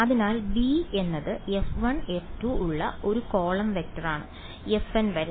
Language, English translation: Malayalam, So, b is a column vector with f 1 f 2 all the way up to f n right